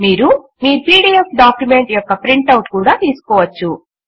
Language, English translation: Telugu, You can also take a print out of your pdf document